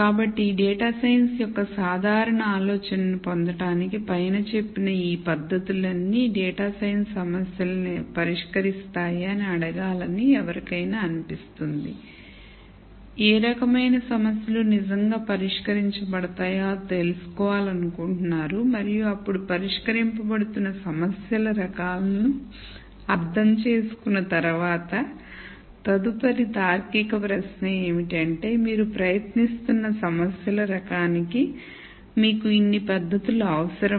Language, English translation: Telugu, So, to get a general idea of data science one might be tempted to ask that if all of these collections of techniques solve data science problems then, one would like to know what types of problems are being solved really and once one understands the types of problems that are being solved then, the next logical question would be do you need so many techniques for the types of problems that you are trying to solve